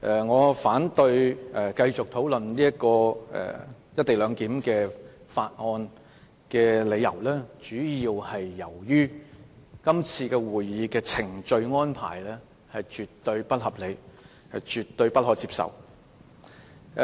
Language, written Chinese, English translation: Cantonese, 我反對繼續討論《廣深港高鐵條例草案》，主要理由是今次會議的程序安排絕對不合理，絕對不可接受。, I oppose continuing to discuss the Guangzhou - Shenzhen - Hong Kong Express Rail Link Co - location Bill the Bill mainly for the reason that the procedural arrangement for this meeting is absolutely unreasonable and unacceptable